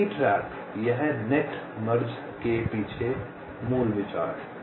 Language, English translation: Hindi, ok, this is the basic idea behind net merging